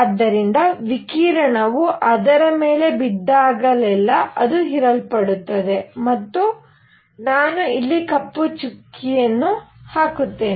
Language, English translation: Kannada, So, that whenever radiation falls on that it gets absorbed plus I will put a black spot here